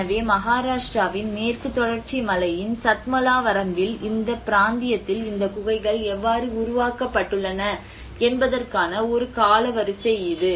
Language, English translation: Tamil, So, that is a kind of timeline of how these cave dwellings have been developed in this region in the Satmala range of Western Ghats in Maharashtra